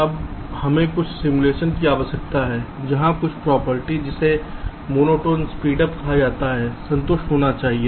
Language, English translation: Hindi, now we need some simulation where some property called monotone speedup should be satisfied